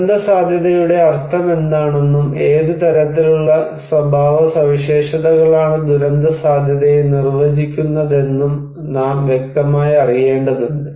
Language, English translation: Malayalam, We need to know clearly what is the meaning of disaster vulnerability, what kind of characteristics would define disaster vulnerability